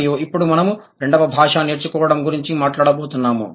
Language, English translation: Telugu, And now we are going to talk about the second language acquisition